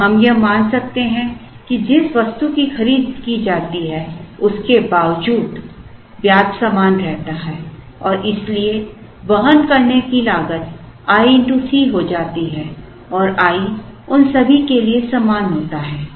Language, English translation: Hindi, And, we can assume that irrespective of the item that is procured, the interest remains the same and therefore, the carrying cost becomes i into C and i is the same for all of them